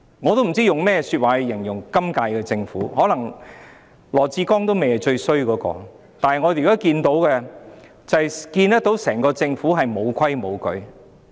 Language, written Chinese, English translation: Cantonese, 我不知道可用甚麼說話去形容今屆政府，可能羅致光局長也不是最差的那個，但我們現在看到整個政府完全"無規無矩"。, I do not know what words I can use to describe the current - term Government . Perhaps Secretary Dr LAW Chi - kwong is not the worst but we can see now the entire Government completely flouts rules and orders